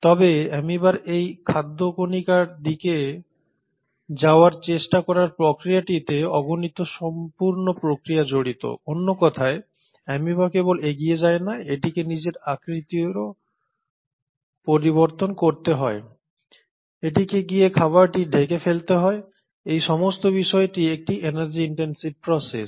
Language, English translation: Bengali, It will try to move towards that food particle but the process of this amoeba trying to move towards food particle involves a whole myriad of processes; in other words not only does the amoeba to move forward, it has to change its shape, it has to go and then engulf this food; now all this is a energy intensive process